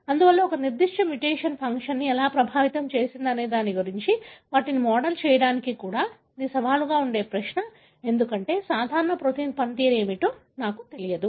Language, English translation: Telugu, Therefore, even to model them as to how a particular mutation, you know, affected the function, it is going to be challenging question, because I do not know what is the function of the normal protein